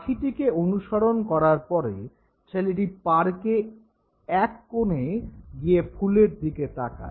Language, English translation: Bengali, This boy now after now chasing the bird goes to a corner of the park and looks at the flower